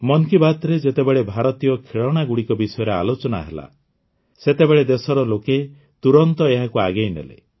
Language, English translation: Odia, In 'Mann Ki Baat', when we referred to Indian toys, the people of the country promoted this too, readily